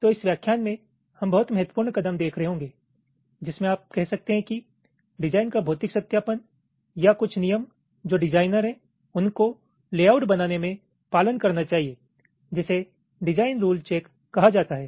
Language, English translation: Hindi, so in this lecture we shall be looking at ah, very importance step in, you can say physical verification of the design, or some rules which the design i should follow in creating the layout is something called design rule check